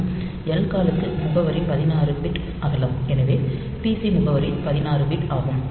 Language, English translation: Tamil, And lcall address is 16 bit wide, so the pc address is 16 bit